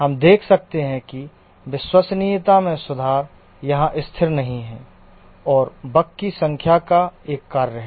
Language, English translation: Hindi, We can see that the improvement in the reliability is not constant here and is a function of the number of bugs